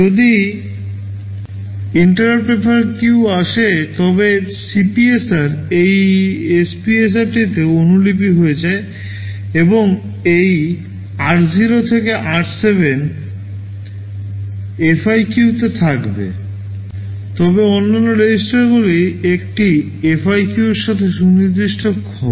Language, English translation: Bengali, If interrupt FIQ comes then CPSR gets copied into this SPSR and this r0 to r7 will be there in FIQ, but the other registers will be specific to a FIQ